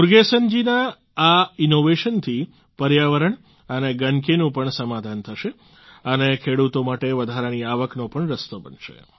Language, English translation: Gujarati, This innovation of Murugesan ji will solve the issues of environment and filth too, and will also pave the way for additional income for the farmers